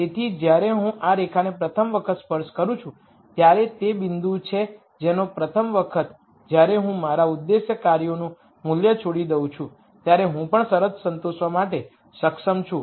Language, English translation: Gujarati, So, when I touch this line for the rst time is the point at which for the rst time, when I give up my objective functions value, I am also able to satisfy the constraint